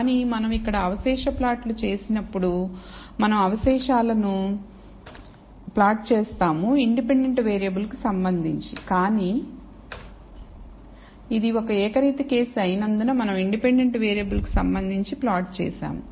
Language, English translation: Telugu, But when we do the residual plot here we have plotted the residual versus the I have plotted with respect to the independent variable, but because it is a univariate case, we have plotted with respect to the independent variable